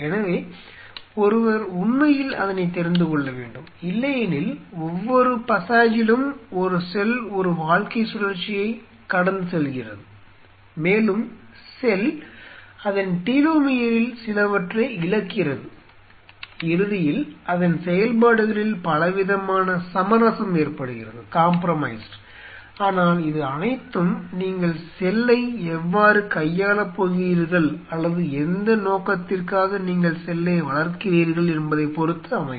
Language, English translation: Tamil, So, one really has to know that because otherwise through every passage a cell goes through a life cycle and the cell loses some of its telomere and eventually lot of its function kind of gets compromised, but then it all depends how you want to treat the cell and for what purpose you are growing the cell